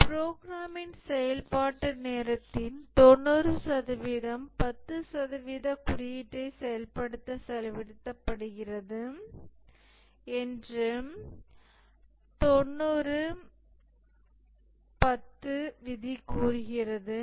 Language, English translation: Tamil, The 90 10 rule says that 90% of the execution time of a program is spent in executing 10% of the code